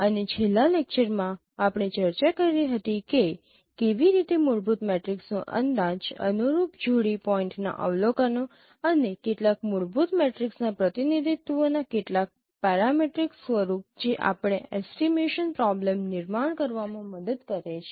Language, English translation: Gujarati, And in the last lecture we discussed how fundamental matrices could be estimated given the observations of corresponding pairs of points and also some parametric forms of representation of fundamental matrix which also sometimes helps us in formulating the estimation problem